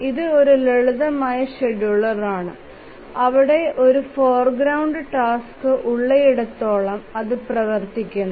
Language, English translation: Malayalam, So, it's a simple scheduler where as long as there is a foreground task it runs